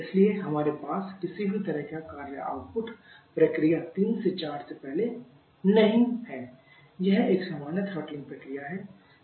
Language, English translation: Hindi, So, we are not having any kind of work output proving the process 3 to 4 is a plane throttling process